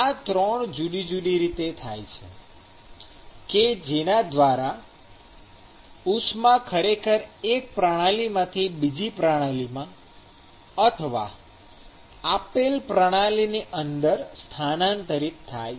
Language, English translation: Gujarati, These are the 3 different modes by which heat is actually transferred from one system to the other system or within a given system